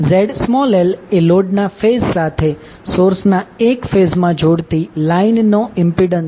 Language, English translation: Gujarati, ZL is impedance of the line joining the phase of source to the phase of load